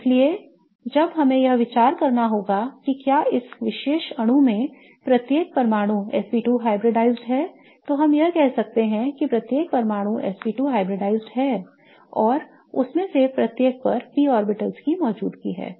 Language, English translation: Hindi, So, when we have to consider if each of the atoms in this particular molecule is SP2 hybridized, then we can say that each atom is SP2 hybridized and there is a presence of p orbital on each of them